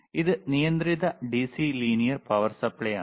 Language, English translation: Malayalam, tThis is regulated DC linear power supply